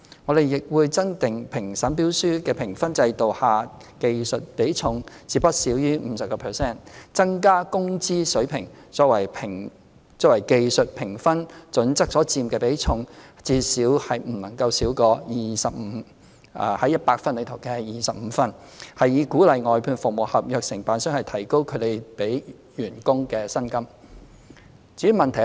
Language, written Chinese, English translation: Cantonese, 我們亦會增加評審標書的評分制度下技術比重至不少於 50%， 增加"工資水平"作為技術評分準則所佔的比重至不少於 25/100 分，以鼓勵外判服務合約承辦商提高他們的員工的薪金。, To provide incentives for outsourced service contractors to enhance the wage rates of their employees we will also increase the technical weighting in marking schemes for tender assessment to not less than 50 % and increase the weighting for wage level as an assessment criterion to at least 25 marks out of 100 marks in the technical assessment